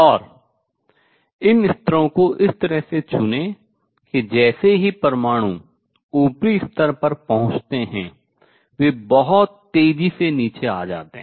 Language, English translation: Hindi, And choose these levels in such a way that as soon as the atoms reach the upper level, they come down very fast